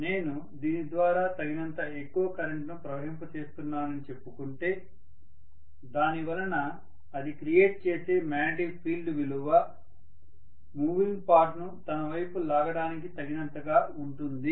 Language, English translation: Telugu, And let us say I am passing sufficiently large enough current through this because of which the magnetic field created is strong enough to pull that moving part towards itself